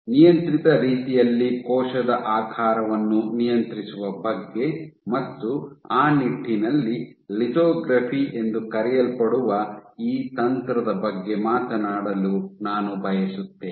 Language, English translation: Kannada, So, how do you go about controlling cell shape in a controlled manner, and in that regard, I want to talk about this technique of lithography ok